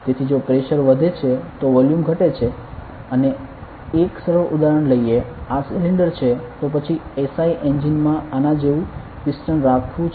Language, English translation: Gujarati, So, if pressure increases volume decreases and one simple example is considered this is a cylinder then keeping a piston like in the SI engines and all ok